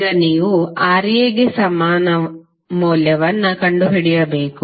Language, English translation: Kannada, Now, you need to find the equivalent value of Ra